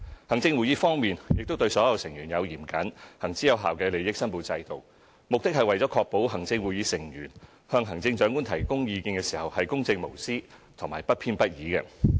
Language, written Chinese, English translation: Cantonese, 行政會議方面，亦對所有成員設有嚴謹而行之有效的利益申報制度，目的是為確保行政會議成員向行政長官提供意見時公正無私和不偏不倚。, For the ExCo it has put in place a rigorous and well - established system for declaration of interests for all ExCo Members . This is to ensure that unbiased and impartial advice is offered by ExCo Members to the Chief Executive